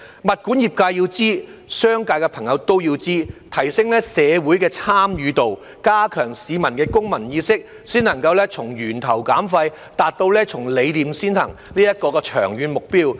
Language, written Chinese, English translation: Cantonese, 物管業界要知道，商界的朋友都要知道，要提升社會的參與度，加強市民的公民意識，這樣才能從源頭減廢，達到從理念先行這個長遠目標。, The property management industry and friends in the business sector should also be aware of this . It is necessary to raise community participation and enhance peoples civic awareness so as to reduce waste at source and realize the long - term goal of ideology comes first